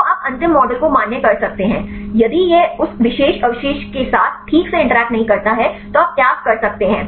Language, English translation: Hindi, So, that you can finally, validate the final model; if this is not properly interact with that particular residues then you can discard